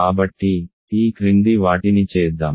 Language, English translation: Telugu, So, let us do the following